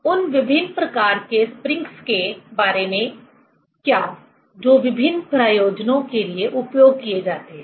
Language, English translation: Hindi, What about the different types of springs which are used for different purposes